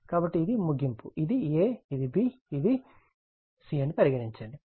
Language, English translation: Telugu, So, this is your end, this is your A, suppose this is your B, this is your C